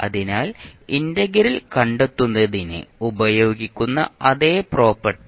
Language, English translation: Malayalam, So the same property we will use for finding out the integral of this particular equation